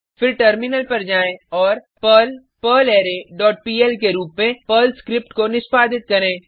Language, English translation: Hindi, Then switch to terminal and execute the Perl script as perl perlArray dot pl and press Enter